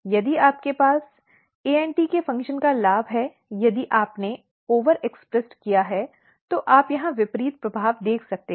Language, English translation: Hindi, If you have gain of function of ANT if you have over expressed you can see the opposite effect here